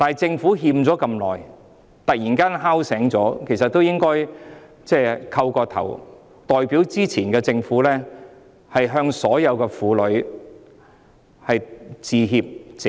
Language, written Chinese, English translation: Cantonese, 政府拖欠了這麼久，突然被敲醒了，其實應該代表前任政府向所有婦女鞠躬致歉、謝罪。, Having defaulted on it for so long the Government has suddenly been awakened . Indeed it should bow and apologize to all women on behalf of previous terms of Government